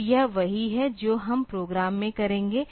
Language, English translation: Hindi, So, this is what we will be doing in the program